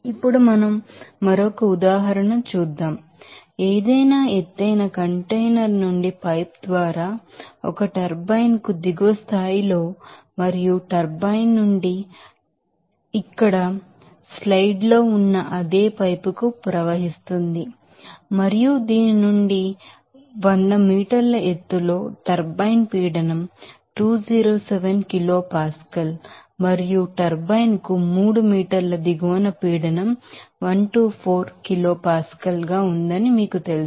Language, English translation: Telugu, Now, let us do another example, like water flows from any elevated container through a pipe to a turbine at a level at a lower level and out of the turbine to a similar pipe here has given in the picture in the slide and you will see that at a point 100 meters above from this you know turbine the pressure is 207 kilo Pascal and at a point 3 meter below the turbine the pressure is 124 kilo Pascal